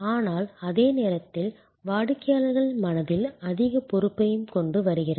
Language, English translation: Tamil, But, it also at the same time brings more responsibility in the customers mind